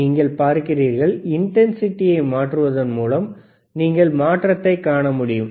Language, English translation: Tamil, You see, by changing the intensity, you will be able to see the change